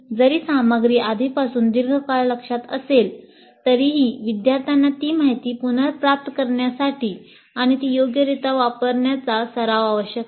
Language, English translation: Marathi, Even when the material is in long term memory already, students need practice retrieving that information and using it appropriately